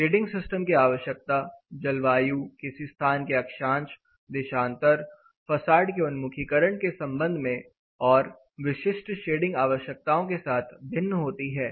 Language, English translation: Hindi, Shading system requirement vary with respect to climate, latitude, longitude of a place facade orientation and typical shading requirements